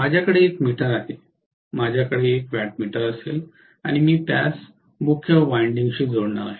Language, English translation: Marathi, I am going to have an ammeter, I am going to have a wattmeter and I am going to connect it to the main winding